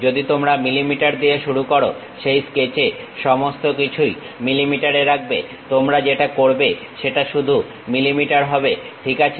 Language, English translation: Bengali, If you begin with mm everything go with mm throughout that sketch what you are going to do use only mm ah